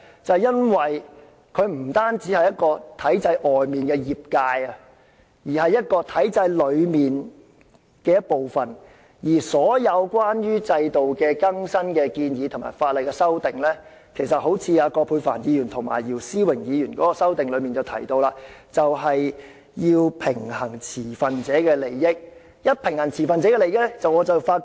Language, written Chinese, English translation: Cantonese, 就是由於它不單是在體制外的業界，更是屬於體制內的一部分，而所有關於制度的更新建議和法例修訂，正如葛珮帆議員和姚思榮議員的修正案提到，要平衡持份者的利益才可能獲得通過。, Because they are not just industries outside the governance system but also part and parcel of it . All proposed updates to the systems and legislative amendments as suggested in the amendments of Dr Elizabeth QUAT and Mr YIU Si - wing require a balance of stakeholders interests to stand any chance of passage